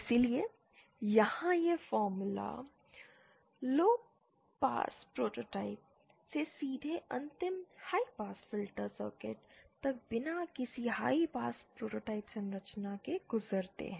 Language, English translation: Hindi, So, here these formulas directly scale from lowpass prototype to the final high pass filter circuit without going through any high pass prototypes structure